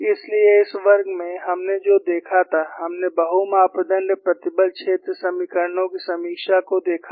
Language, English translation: Hindi, So, in this class, what we had looked at was, we had looked at a review of multi parameter stress field equations